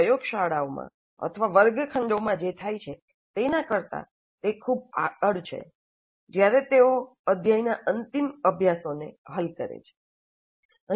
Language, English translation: Gujarati, It's much beyond what happens in the laboratories or in the classrooms when they solve end of the chapter exercises